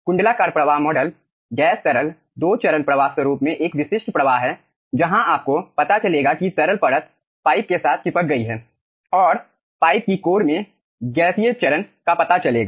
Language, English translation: Hindi, annular flow model is a typical flow pattern in gas liquid 2 phase flow where we will be finding out liquid film is added with the pipe and in the core of the tube you will be finding out gaseous phase